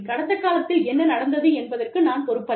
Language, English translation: Tamil, I am not responsible for, what happened in the past